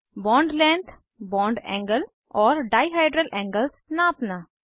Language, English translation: Hindi, * Measure bond lengths, bond angles and dihedral angles